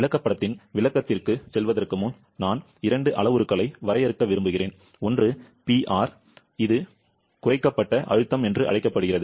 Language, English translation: Tamil, Before going to the description of the chart, I would like to define 2 parameters; one is PR; P subscript R, this is called the reduced pressure